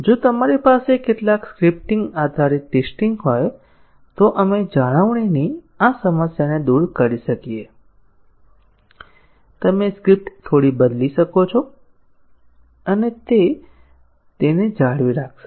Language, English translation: Gujarati, If we have some scripting based testing, we might overcome this problem of maintaining; you can change the script little bit and that will maintain it